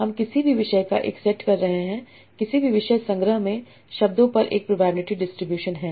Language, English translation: Hindi, We are having a set of topics and each topic is a probability distribution over the words in the collection